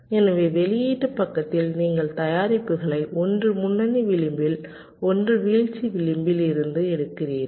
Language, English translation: Tamil, so again in the output side you are taking out the products, one at the leading age, one at the falling age, one from this, one from this